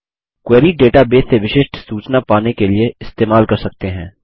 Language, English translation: Hindi, A Query can be used to get specific information from a database